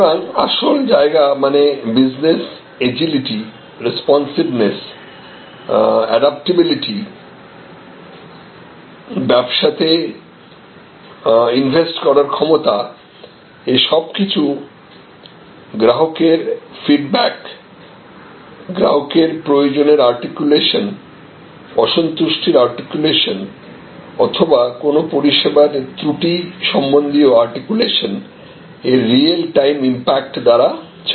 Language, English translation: Bengali, So, the key areas where we are getting advantage of business agility, responsiveness, adaptability and the ability of the business to innovate, to and all these are driven by more real time impact of customer feedback, customer articulation of needs, customer articulation of dissatisfaction or customer articulation about some service deficiency